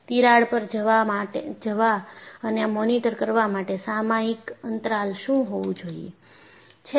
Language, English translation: Gujarati, What should be your periodic interval to go and monitor the crack